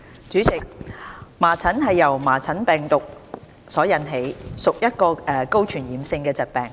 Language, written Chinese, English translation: Cantonese, 主席，麻疹由麻疹病毒所引起，屬一種高傳染性的疾病。, President measles is a highly infectious disease caused by the measles virus